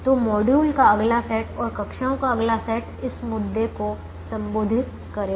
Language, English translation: Hindi, so the next set of module and the next set of classes will address this issue